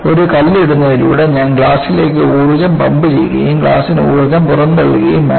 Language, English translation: Malayalam, By putting a stone, I have pumped in energy to this glass and glass has to dissipate the energy